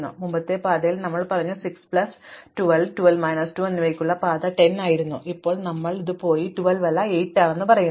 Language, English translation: Malayalam, So, in the previous path we said Oh, the path for 6 plus 12 and 12 minus 2 was 10, now we said, Oh, it is not 12 it is 8